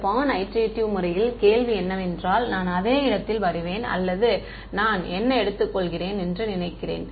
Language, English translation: Tamil, In this born iterative method the question is will I arrive at the same point regardless or what guess I take